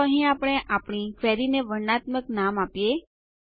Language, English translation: Gujarati, Let us give a descriptive name to our query here